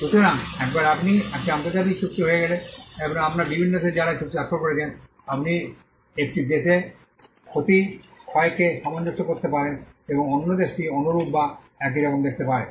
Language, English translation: Bengali, So, once you have an international agreement, and you have various countries who have signed to that agreement, you can harmonize the loss, loss in one country and the other country can look similar or the same